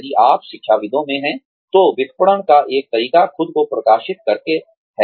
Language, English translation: Hindi, If you are in academics, one way of marketing yourself is, by publishing